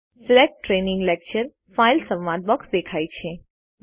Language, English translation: Gujarati, The Select Training Lecture File dialogue appears